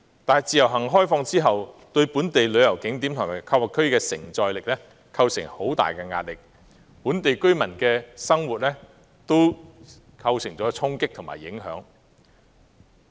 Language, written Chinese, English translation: Cantonese, 但是，開放自由行亦對本地旅遊景點和購物區的承載力構成極大壓力，並對本地居民的生活產生衝擊和影響。, Nevertheless the introduction of IVS has also imposed huge pressure on the capacity of local tourist spots and shopping districts challenging and affecting the lives of the residents